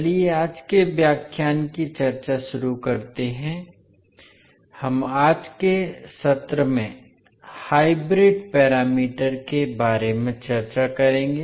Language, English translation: Hindi, So, let us start the discussion of today’s lecture, we will discuss about the hybrid parameters in today's session